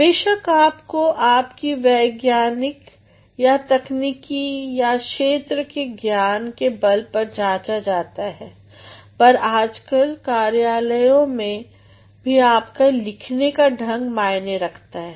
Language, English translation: Hindi, Of course, you are judged by your scientific or technical knowledge or the subject knowledge, but nowadays at the workplace even your style of writing matters